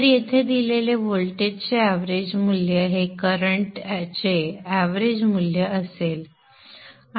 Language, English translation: Marathi, So this would be the average value of the current, the average value of the voltage is given here